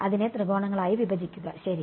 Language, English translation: Malayalam, Break it into triangles ok